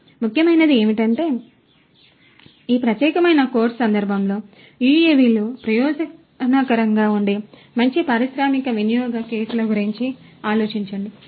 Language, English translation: Telugu, So, what is important is in the context of this particular course, think about good industrial use cases where UAVs can be of benefit